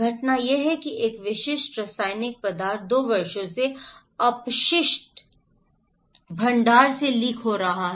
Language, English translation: Hindi, The event is that a specific chemical substance has been leaking from a waste repository for two years